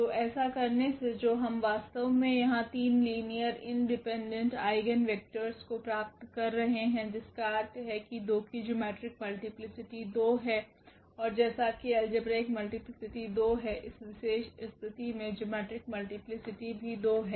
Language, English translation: Hindi, So, by doing so what we are actually getting here we are getting 3 linearly independent eigenvector meaning this geometric multiplicity of 2 is 2 and also it is; as the algebraic multiplicity is 2, also the geometric multiplicity in this particular case is coming to be 2